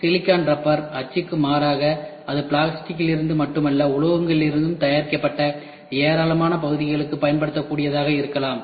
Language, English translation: Tamil, In contrast to silicon rubber mold, it may be use usable for a large number of parts made not only from plastic, but from metals as well this is what we discussed